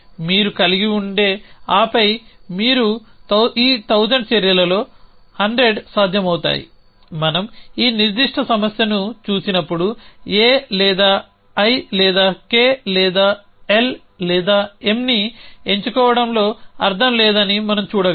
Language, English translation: Telugu, You would have and then you 100 of 1000 actions would be possible essentially when we look at this particular problem we can see that is no point in picking up A or I or K or L or M